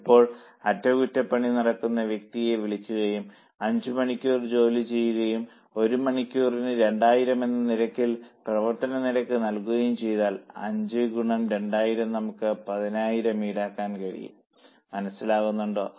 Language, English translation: Malayalam, Now whenever maintenance person is called and suppose works for five hours and rate per hour is 2000, then 5 into 2,000 we will be able to charge 10,000 for the unit which has used maintenance facility